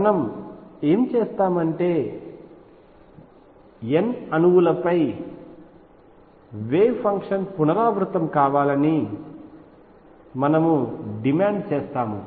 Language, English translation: Telugu, What we will do is we will demand that over n atoms, the wave function repeat itself